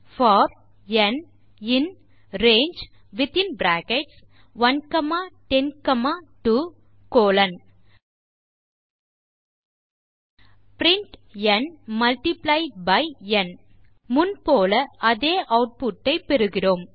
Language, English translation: Tamil, Type for n in range within bracket 1 comma 10 comma 2 colon print n multiply by n We can see that we got the same output as before